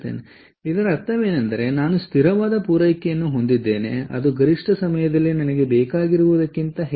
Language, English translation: Kannada, so what it means is i have a steady supply which, during off peak hours, is more than what i need